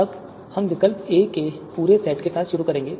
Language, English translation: Hindi, Now we will start with complete set of alternatives A